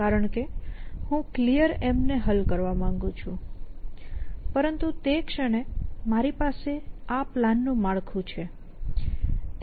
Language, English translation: Gujarati, Because I want to resolve this goal of clear M, but the moment I have this plan structure